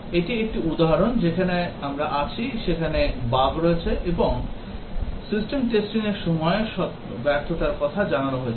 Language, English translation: Bengali, This is an example where we are there is a bug and while doing the system testing failure was reported